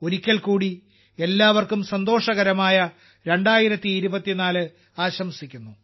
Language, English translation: Malayalam, Once again, I wish you all a very happy 2024